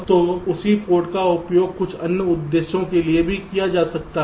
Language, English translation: Hindi, ok, so the same put is used for so other purposes also